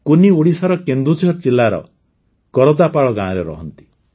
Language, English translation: Odia, Kunni lives in Kardapal village of Kendujhar district of Odisha